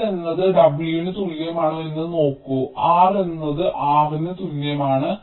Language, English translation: Malayalam, you see, if l is equal to w, then r is the same as r box